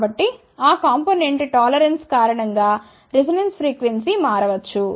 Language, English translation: Telugu, So, because of those component tolerances resonance frequency can change